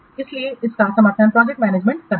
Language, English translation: Hindi, So it supports project management